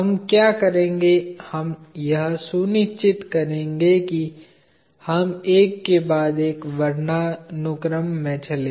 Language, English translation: Hindi, What we will do is, we will make sure that we go alphabetically one after the other